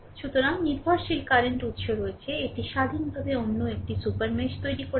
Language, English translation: Bengali, So, dependent current source is there, it is independent creating another super mesh